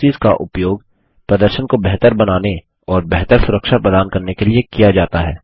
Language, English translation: Hindi, Proxies are used to improve performance and provide better security